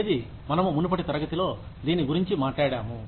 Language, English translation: Telugu, Which is what, we talked about, in the previous class